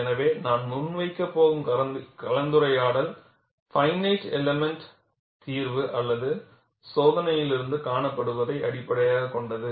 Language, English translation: Tamil, So, whatever the discussion I am going to present is based on what is seen from finite elemental solution or from experiment